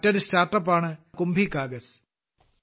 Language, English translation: Malayalam, Another StartUp is 'KumbhiKagaz'